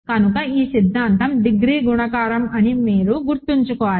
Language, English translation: Telugu, So, this theorem you should remember as saying degree is multiplicative